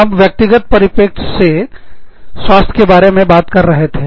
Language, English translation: Hindi, We were talking about, health, from the individual's perspective